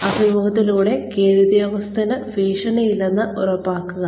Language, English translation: Malayalam, Ensure, that the subordinate, does not feel threatened, during the interview